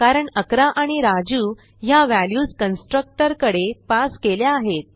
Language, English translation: Marathi, Because we have passed the values 11 and Raju the constructor